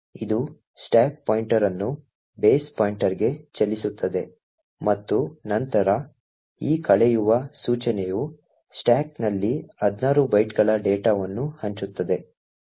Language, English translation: Kannada, It moves the stack pointer to the base pointer and then this subtract instruction allocate 16 bytes of data in the stack